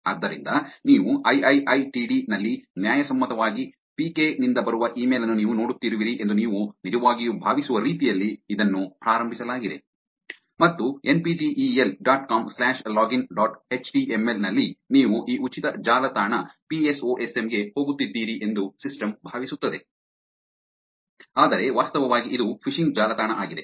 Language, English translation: Kannada, So, that is started the way you actually think you are seeing an e mail that is coming from legitimately pk at iiitd, and the system thinks that you are actually going to this free website forum psosm on NPTEL dot come slash login dot html, but actually it is a phishing website